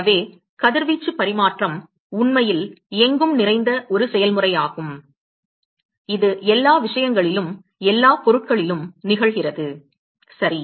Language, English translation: Tamil, So, exchanging radiation is actually quite a ubiquitous process, it occurs across all matters, all objects etcetera ok